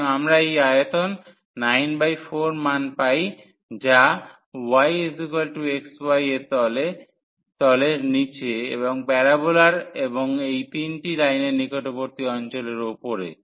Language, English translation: Bengali, So, we get the value 9 by 4 of this volume which is below the surface y is equal to x y and above the region close by the parabola and these 3 lines